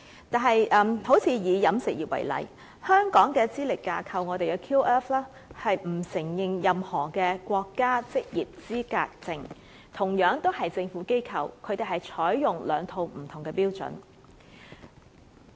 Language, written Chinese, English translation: Cantonese, 以飲食業為例，香港的資歷架構並不承認任何的國家職業資格證，同樣是政府機構，卻採用兩套不同的標準。, In the catering industry for example none of the National Occupational Qualification Certificates NOQC is currently recognized under Hong Kongs Qualifications Framework QF . In other words two different systems are adopted by the respective government institutions in the two places